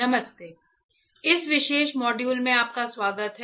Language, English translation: Hindi, Hi, welcome to this particular module in the last module